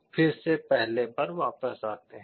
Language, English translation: Hindi, Again come back to the first